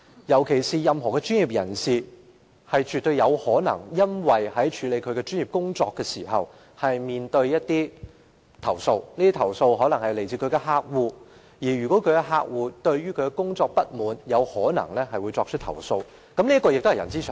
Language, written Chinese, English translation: Cantonese, 任何專業人士均絕對有可能在處理其專業工作時被投訴，而這些投訴可能是來自客戶，因為客戶不滿其工作表現便會作出投訴，這亦是人之常情。, It is definitely possible for any professionals to receive complaints when undertaking his professional work; and such complaints may come from the clients who are unhappy about the performance of the professional . This is very normal